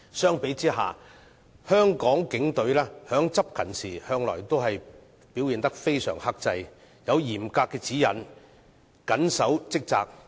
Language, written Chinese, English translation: Cantonese, 相比之下，香港警隊在執勤時向來表現得相當克制，有嚴格指引，緊守職責。, In comparison the Police Force of Hong Kong always demonstrates fair restraint by observing strict guidelines and steadfast commitment when discharging duties